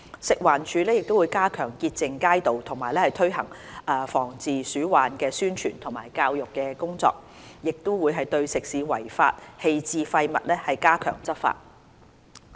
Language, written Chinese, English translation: Cantonese, 食環署會加強潔淨街道，推行防治鼠患的宣傳及教育工作，並會對食肆違法棄置廢物加強執法。, FEHD will enhance street cleaning carry out publicity and public education work on rodent prevention and control and step up enforcement actions against illegal dumping of waste by food premises